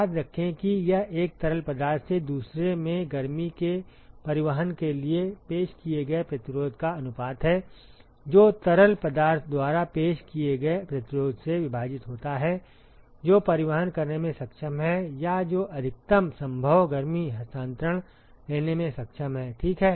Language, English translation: Hindi, Remember that it is the ratio of the resistance offered for transport of heat from one fluid to other divided by the resistance offered by the fluid which is capable of transporting or which the capable of taking up maximum possible heat transfer, ok